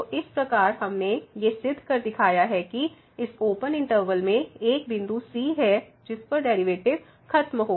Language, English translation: Hindi, So, in this way we have proved this that there is a point in this interval , in the open interval where the derivative vanishes